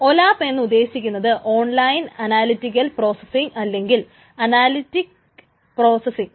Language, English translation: Malayalam, So, OLAP, this stands for online analytical processing or analytic processing